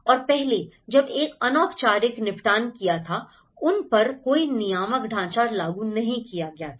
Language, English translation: Hindi, And earlier, when there was an informal settlement okay, there is no regulatory framework has been enforced on that